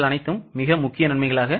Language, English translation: Tamil, That is, these are the major advantages